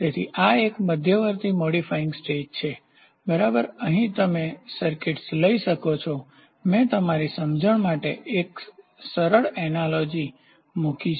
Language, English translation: Gujarati, So, this is an intermediate modifying stage, ok, here you can have circuits; I have just put a simple analogy for your understanding